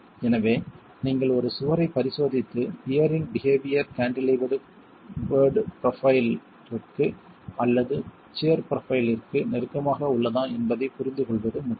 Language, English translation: Tamil, So, it's important for you to examine a wall and understand whether the behavior of the peer is closer to a cantilevered profile or a shear profile